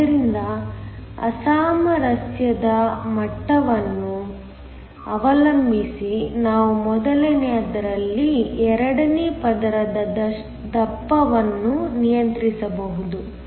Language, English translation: Kannada, So, depending upon the degree of mismatch we can control the thickness of the second layer on the first